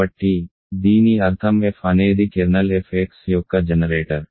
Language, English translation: Telugu, So, that already means that f is the generator of the kernel f x